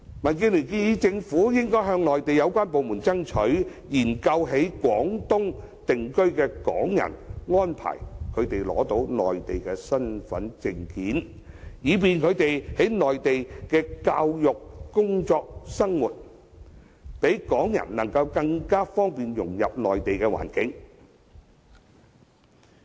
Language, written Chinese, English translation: Cantonese, 民建聯建議政府應向內地有關部門爭取，研究向在廣東省定居的港人提供幫助，安排他們申領內地身份證，以方便他們在內地接受教育、工作和生活，讓港人更易融入內地環境。, DAB suggests that the Government negotiate with the Mainland authorities on assisting Hong Kong residents settling in the Guangdong Province in applying for Mainland identity cards to facilitate their receiving education working and living there